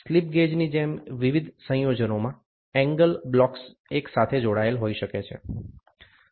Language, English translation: Gujarati, The angle blocks may be wrung together in various combinations, just like slip gauges